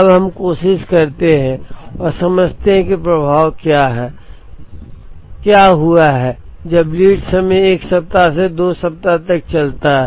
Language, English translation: Hindi, Now, let us try and understand what is the effect or what has happened when the lead time move from 1 week to 2 weeks